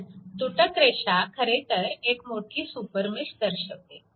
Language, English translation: Marathi, So, dash line is a actually larger super mesh